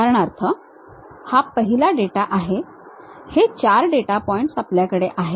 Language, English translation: Marathi, For example, this is the first data these are the 4 data points, we have